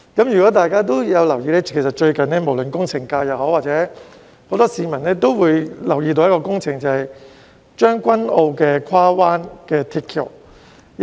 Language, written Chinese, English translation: Cantonese, 如果大家有留意，最近無論工程界或很多市民也留意到將軍澳的跨灣大橋工程。, As Members may have noticed members of the engineering sector or many members of the public for that matter have recently turned their attention to the bridge works of the Cross Bay Link at Tseung Kwan O